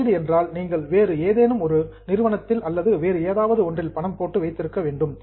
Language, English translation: Tamil, Investment means you have to give it money to some other company or somewhere else